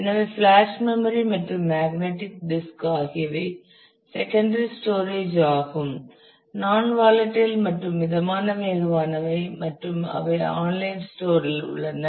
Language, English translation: Tamil, So, flash memory and magnetic disk are secondary storage they are non volatile and moderately fast and they are online